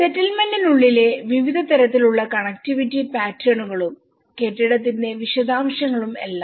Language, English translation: Malayalam, Various types of connectivity patterns within the settlement and that the building details and everything